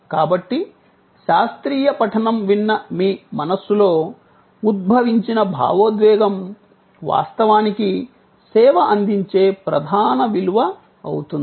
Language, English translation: Telugu, So, the emotion evoked in your mind, hearing a classical recital is actually the core value deliver by the service